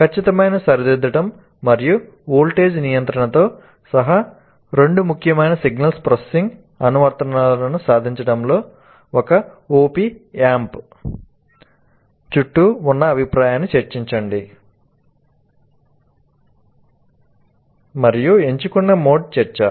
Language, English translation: Telugu, So, discuss the role of the feedback around an appamp in achieving two important signal processing applications including precision rectification and voltage regulation and the mode shall produce discussion